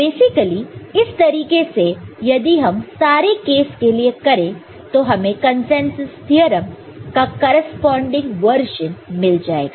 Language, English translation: Hindi, So, basically if you just do it that way for all the cases we will get the corresponding version for the consensus theorem